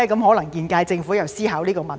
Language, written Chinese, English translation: Cantonese, 可能現屆政府也在思考這個問題。, Probably the current - term Government is also contemplating this issue